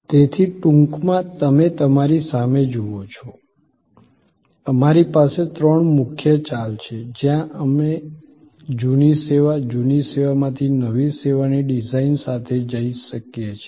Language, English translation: Gujarati, So, in short as you see in front of you, we have three major moves, where we can go with a new service design out of an old service, outdated service